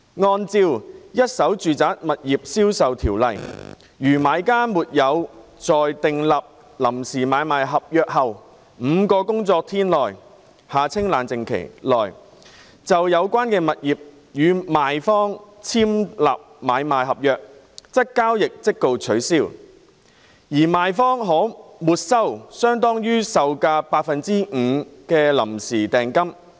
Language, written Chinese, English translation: Cantonese, 按照《一手住宅物業銷售條例》，如買家沒有在訂立臨時買賣合約後5個工作日內，就有關物業與賣方簽立買賣合約，則交易即告取消，而賣方可沒收相當於售價百分之五的臨時訂金。, According to the Residential Properties Ordinance if a purchaser does not execute an agreement for sale and purchase in respect of the property concerned with the vendor within five working days after entering into a preliminary agreement for sale and purchase the transaction is forthwith cancelled and the vendor may forfeit the preliminary deposit which is equivalent to 5 % of the purchase price